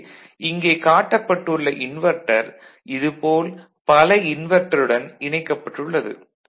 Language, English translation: Tamil, So, this particular inverter is connected to many such inverters ok